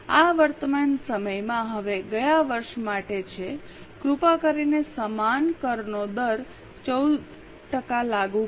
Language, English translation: Gujarati, Now, in the current year please apply the same tax rate 14%